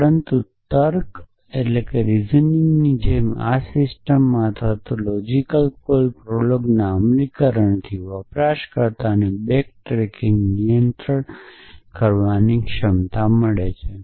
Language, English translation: Gujarati, But in a system like this in logic or the implementation of logic call prolog the language gives the user ability to control back tracking